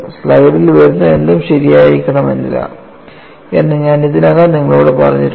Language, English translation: Malayalam, I have already questioned you whatever that is coming on the slide not necessarily be correct